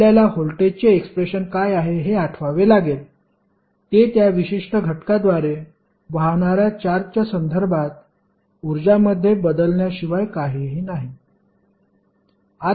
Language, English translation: Marathi, You have to recollect what is the expression for voltage, that is nothing but change in energy with respect to charges flowing through that particular element